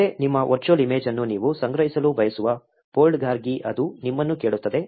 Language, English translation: Kannada, Next, it will ask you for a folder where you want to store your virtual image